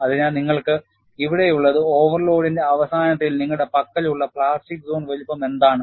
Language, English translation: Malayalam, So, what you will have to look at is, in view of an overload, the plastic zone size is much larger